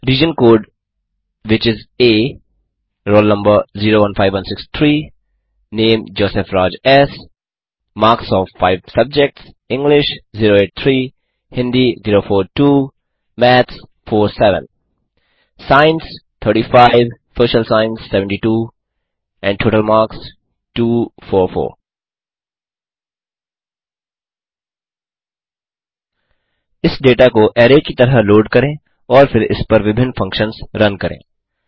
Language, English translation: Hindi, * Region Code which is A * Roll Number 015163 * Name JOSEPH RAJ S * Marks of 5 subjects: ** English 083 ** Hindi 042 ** Maths 47 ** Science 35 **Social Science 72 and Total marks 244 Lets load this data as an array and then run various functions on it